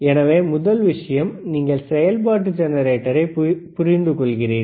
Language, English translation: Tamil, So, first thing is, you understand the function generator, very good